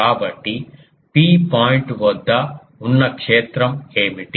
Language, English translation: Telugu, So, what is the field at a point P